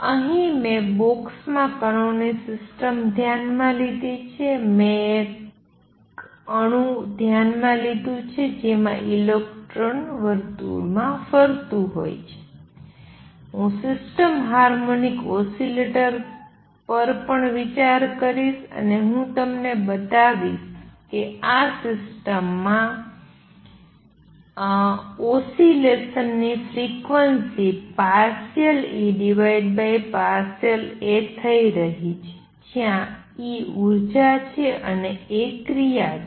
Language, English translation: Gujarati, Here I have considered the system of particle in a box, I have considered an atom in which the electron is moving around in a circle, I will also consider a system harmonic oscillator and what I will show you is that in these systems the frequency of oscillation is going to be partial E over partial a where E is the energy and a is the action let me elaborate on that a bit